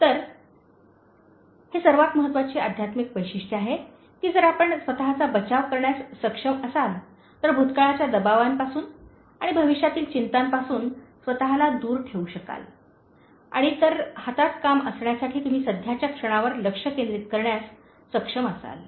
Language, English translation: Marathi, So, that is the most important spiritual trait that if you are able to develop when you are able to shield yourself, insulate yourself from the pressures of the past and the anxieties of the future and if you are able to focus on the present moment to the task at hand